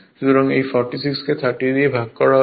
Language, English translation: Bengali, So, is equal to this 46 divided by 30